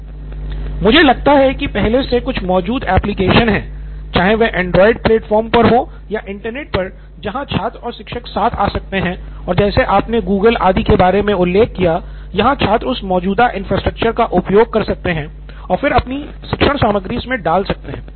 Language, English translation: Hindi, I think there are some already existing applications, be it on the Android platform or on the Internet where students and teachers can come in and like you mentioned Google and so on, where students can use that existing infrastructure and then put it in the content